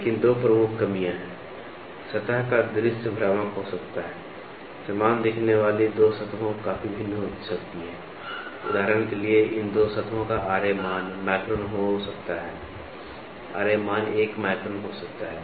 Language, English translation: Hindi, But the two major drawbacks are the view of the surface may be deceptive; two surfaces that appear identical might be quite difference, for example, these two surfaces can have a Ra value as 1 micron